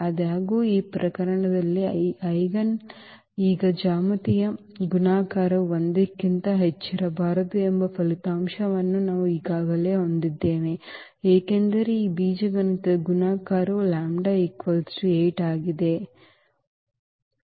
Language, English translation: Kannada, Though, we have already the result that the eigen the geometric multiplicity cannot be more than 1 now in this case, because the algebraic multiplicity of this lambda is equal to 8 is 1